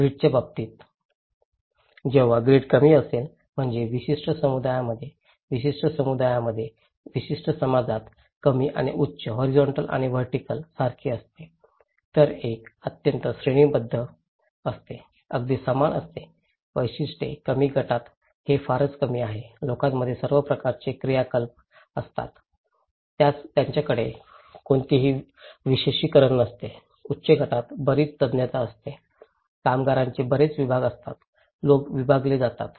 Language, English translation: Marathi, In case of grid, when the grid is low that means in a particular group, particular community, particular society, the low and high is like horizontal and vertical, one is very hierarchical one is very equal okay, specializations; in low group it’s very little, people are all have similar kind of activities, they don’t have any specializations, in high group there is lot of specializations, lot of division of labour, people are divided, segregated